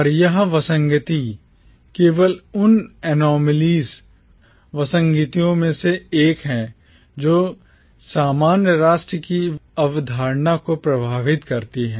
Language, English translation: Hindi, And this anomaly is only one of the anomalies which plague the concept of commonwealth